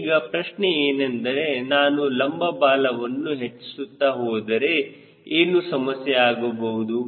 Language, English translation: Kannada, now question is: if i go on increasing this vertical fin, what are the problems